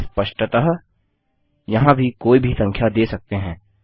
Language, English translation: Hindi, Obviously, you can have any number here, too